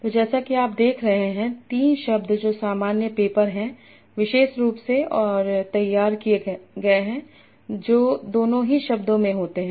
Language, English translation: Hindi, So as such you are seeing there are three words that are common, paper especially and prepared, that occur in both the glosses